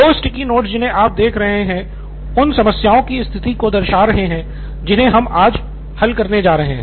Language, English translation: Hindi, There are two sticky notes that you can see, those have the conditions of the problem that we are going to solve today